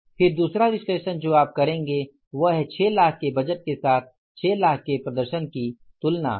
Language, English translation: Hindi, Then the second analysis you will do is that is the say the comparison of the performance of 6 lakhs with the budget of 6 lakhs